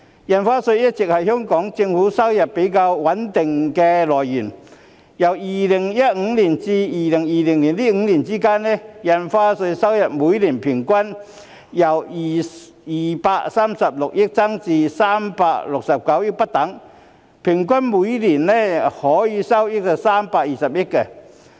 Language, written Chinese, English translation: Cantonese, 印花稅一直是香港政府收入比較穩定的來源，由2015年至2020年的5年間，印花稅收入每年平均由236億元至369億元不等，平均每年收益為320億元。, Stamp Duty has always been a relatively stable source of revenue for the Hong Kong Government . Within the five years from 2015 to 2020 the average annual Stamp Duty revenue ranged from 23.6 billion to 36.9 billion with average annual revenue of 32 billion